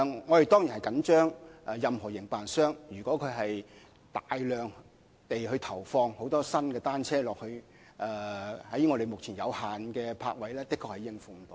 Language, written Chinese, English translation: Cantonese, 我們當然關注，營辦商一旦大量投放新單車作租賃用途，目前有限的泊位確實是無法應付的。, We of course note with concern that if the operator really puts in large numbers of new bicycles for rental the limited number of bicycle parking spaces at present will fail to cope